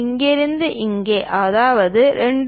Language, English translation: Tamil, From here to here that is 2